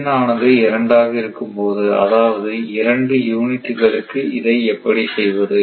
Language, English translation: Tamil, So, how one can do it when N is equal to 2 I mean 2 units